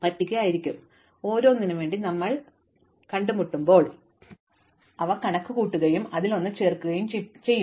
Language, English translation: Malayalam, But, as and when we encounter them for each of them we will account for them and add one to it